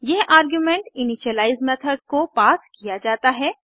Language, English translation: Hindi, This argument gets passed on to the initialize method